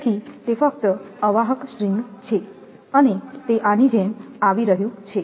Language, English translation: Gujarati, So, this is insulator string, it is insulator string only and it is coming like this